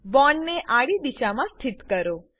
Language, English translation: Gujarati, Orient the bond in horizontal direction